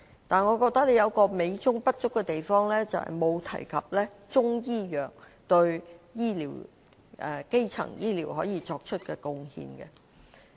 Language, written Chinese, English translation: Cantonese, 但是，一個美中不足的地方是，議案沒有提及中醫藥對基層醫療可以作出的貢獻。, However there is a fly in the ointment . The motion has not mentioned the possible contributions of Chinese medicine to primary health care